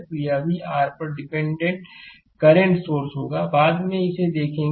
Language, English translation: Hindi, So, it will be also your dependent current source later will see this right